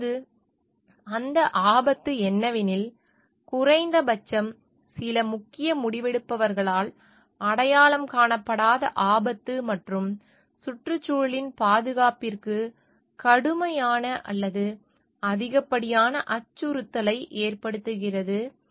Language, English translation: Tamil, Now, what are those risk one is hazard, like hazard that have gone unrecognised, at least by some key decision makers, and that pose a grave or excessive threat to the safety of the environment